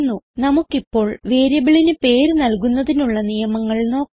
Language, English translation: Malayalam, Now let us see the naming rules for variables